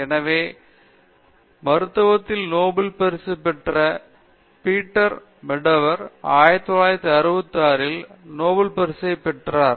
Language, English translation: Tamil, So, Peter Medawar, Nobel Laureate in medicine, in 1960 he got the Nobel prize